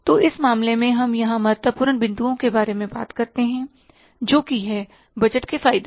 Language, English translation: Hindi, So, in this case, we talk about the important points here that advantages of the budgets